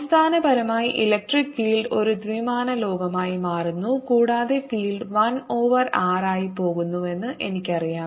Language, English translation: Malayalam, essentially, electric field becomes a two dimensional world and i know, indeed, there the field goes s over r